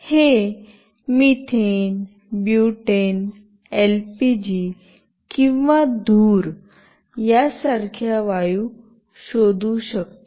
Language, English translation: Marathi, It can detect gases like methane, butane, LPG or smoke